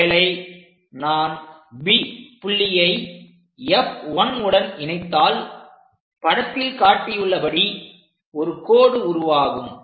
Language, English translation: Tamil, So, if I am going to connect point B with F 1, the line will be this one